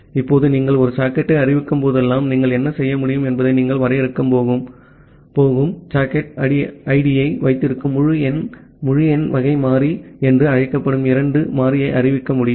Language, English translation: Tamil, Now, whenever you are declaring a socket, so what you can do you can declare a very two variable called integer s integer type of variable which hold the socket id that you are going to define